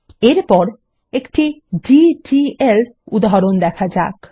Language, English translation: Bengali, Next let us see a DDL example